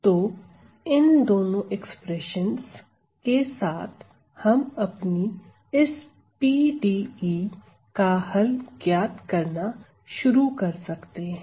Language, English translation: Hindi, Well, with this with these two expressions we can start finding the solution to this PDE